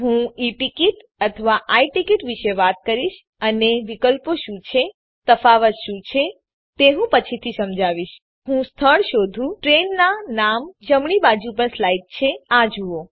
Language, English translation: Gujarati, I will talk about E ticket or I ticket and what are the option What are the differnces i will explain later Let me find the place, Train name slide to the right and see that